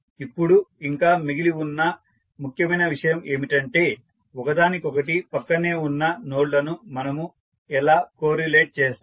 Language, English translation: Telugu, Now, the important thing which is still is left is that how we will co relate the nodes which are connect, which are adjacent to each other